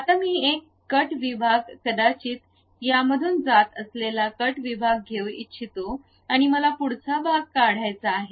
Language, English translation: Marathi, Now, I would like to have a cut section maybe a cut section passing through this and I would like to remove the frontal portion